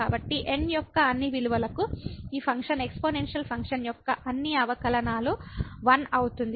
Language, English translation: Telugu, So, for all values of all the derivatives of this function exponential function is 1